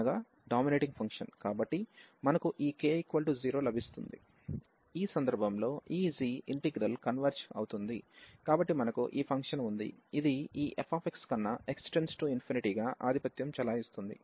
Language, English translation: Telugu, And in this case if this g integral converges, so we have this function which is a dominating as x approaches to infinity than this f x